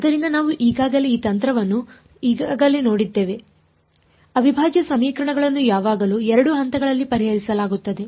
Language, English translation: Kannada, So, we have already come across this trick earlier integral equations always solved in 2 steps